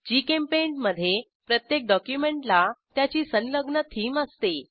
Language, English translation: Marathi, In GchemPaint, each document has an associated theme